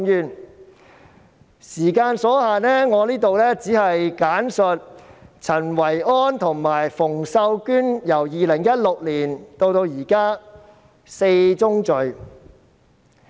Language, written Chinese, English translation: Cantonese, 但由於時間所限，我只會在此簡述陳維安及馮秀娟由2016年至今的4宗罪。, However due to time constraints I will briefly describe four sins committed by Kenneth CHEN and Connie FUNG since 2016